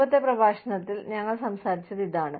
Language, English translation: Malayalam, What we were talking about, in the previous lecture